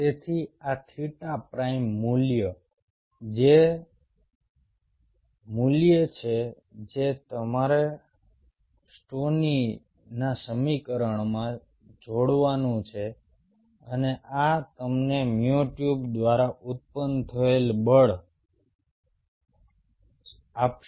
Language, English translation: Gujarati, so this theta prime value, which is the value, what you have do plug into the stoneys equation and this will give you the force generated by the myotube